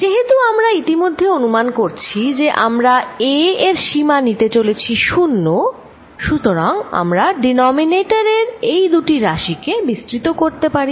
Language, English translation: Bengali, Since, we are already assuming that we are going to take the limit a going to 0, I can expand these two quantities in the denominator